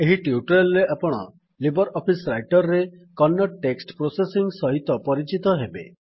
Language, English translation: Odia, In this tutorial I will introduce you to text processing in Kannada with LibreOffice Writer